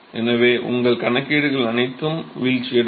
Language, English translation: Tamil, So, all your calculation will fall apart